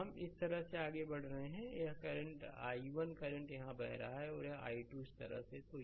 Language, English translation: Hindi, So, we are moving like this so, this i 1 current is flowing here and here i 2 is like this right